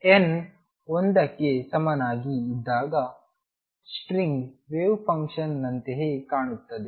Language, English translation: Kannada, For n equal to 1 it looks exactly the same as a string wave function